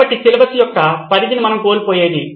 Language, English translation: Telugu, So the extent of syllabus is what we will miss out on